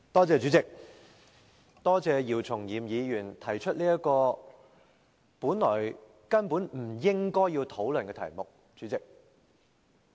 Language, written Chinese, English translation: Cantonese, 主席，多謝姚松炎議員提出這項本來根本不應討論的議案。, President I thank Dr YIU Chung - yim for moving this motion which actually should not be discussed